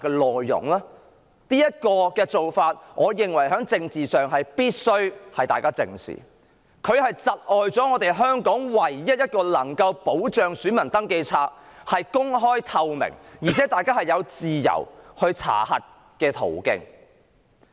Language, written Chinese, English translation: Cantonese, 我認為大家必須正視這種政治做法，它窒礙了香港唯一保障選民登記冊公開及透明，以及大家查核選民登記冊的途徑。, We must face squarely this kind of political move as it has impeded the only assurance of openness and transparency as well as public access to the electoral register